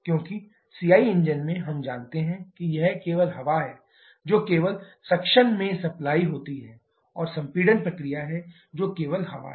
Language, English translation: Hindi, Because in CI engine, we know that it is only air which is supplied only suction and compression process that is only air